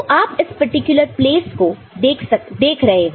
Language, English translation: Hindi, So, you are looking at this particular place